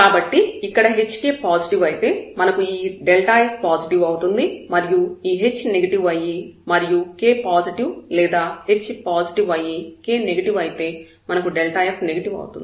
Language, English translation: Telugu, So, here this hk if this product is positive, we have this delta f positive, if this h is negative and k is positive or k is negative h is positive, we have delta f negative